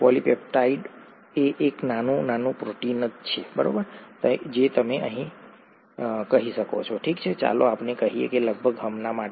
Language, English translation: Gujarati, A polypeptide is a small, small protein you can say, okay let us say that for approximately now